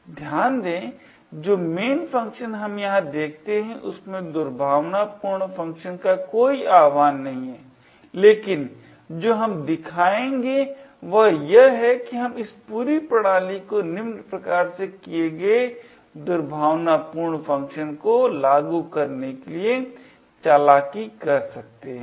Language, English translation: Hindi, Note that, the main function we see over here there is no invocation of malicious function but what we will show is that we can trick this entire system into invoking the malicious function, let say this as follows